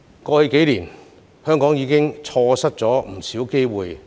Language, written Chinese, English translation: Cantonese, 過去數年，香港已經錯失不少機會。, Hong Kong lost countless opportunities in the past few years